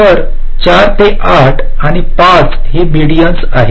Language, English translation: Marathi, so three, four and eight, five are the mean